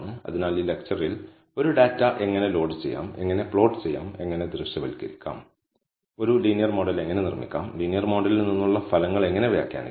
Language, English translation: Malayalam, So, in this lecture we saw how to load a data, how to plot and how to visualize, how to build a linear model and how to interpret the results from the linear model